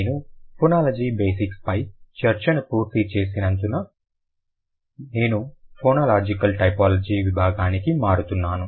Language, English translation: Telugu, Since I've finished the basics, discussion on basics of phonology, I'm moving to the phonological typology section